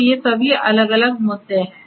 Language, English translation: Hindi, So, all of these different issues are there